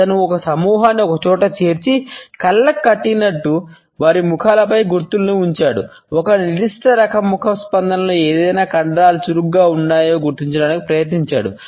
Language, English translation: Telugu, He had gathered together this group, blindfolded them, put markers on their faces to identify what type of muscles are active in a particular type of facial response